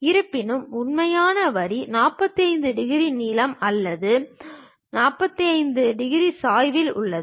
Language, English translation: Tamil, However, the actual line is at 45 degrees length or 45 degrees inclination